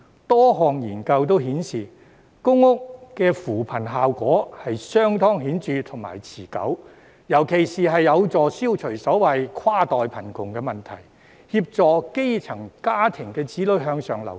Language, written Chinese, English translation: Cantonese, 多項研究皆顯示，公屋的扶貧效果相當顯著和持久，特別有助消除所謂"跨代貧窮"的問題，協助基層家庭子女向上流動。, Various research studies have shown that public housing can achieve a very significant and long - lasting effect in alleviating poverty and it is particularly effective in eliminating intergenerational poverty and assisting grass - roots children in moving upwards